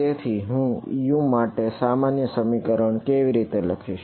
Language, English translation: Gujarati, So, how do I in write a general expression for U